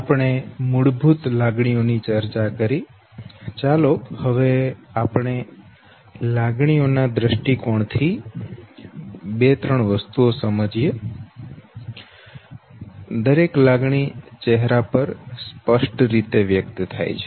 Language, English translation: Gujarati, Now that we have discussed basic emotions, let us understand things from two, three perspectives, one we now know that each basic emotion is distinctly expressed on the face